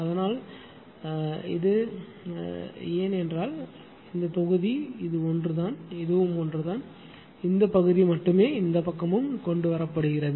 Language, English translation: Tamil, So, that is why this, but this not same this one and this one is same only this portion as being brought to this side and from this side